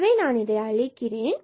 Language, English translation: Tamil, So, let me erase this